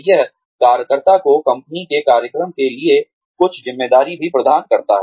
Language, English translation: Hindi, It also offers the worker, some responsibility for a company program